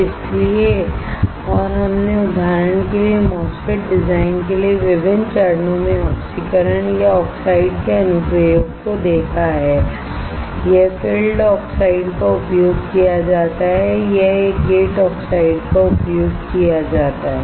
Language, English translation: Hindi, So, and we have seen the application of oxidation or application of oxides at various stages for the MOSFET design for example, it is used the filled oxide it is used a gate oxide